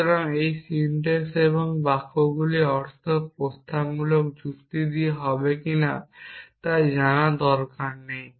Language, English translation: Bengali, So, this is the syntax, what is the meaning of these sentences propositional logic is not concern with meaning